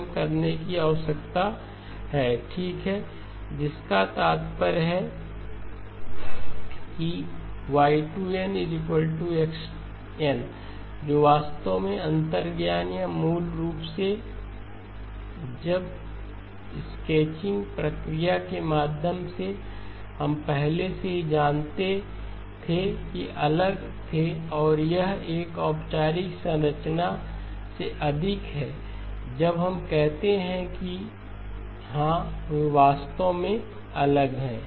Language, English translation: Hindi, So Y2 of Z equal to X of Z which implies that y2 of n equal to x of n, which is exactly the intuition or basically when through the sketching process we already knew that they were different and this is a more of a formal structure when we say that yes they are indeed different